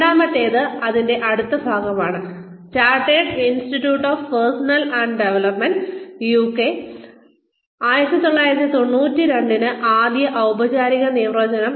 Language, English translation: Malayalam, The second, the next part of this is, the first formal definition by, Chartered Institute of Personnel and Development, UK, 1992